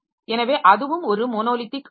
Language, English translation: Tamil, So that is also a monolithic one